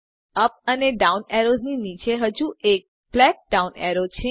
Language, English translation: Gujarati, Below the up and down arrows is another black down arrow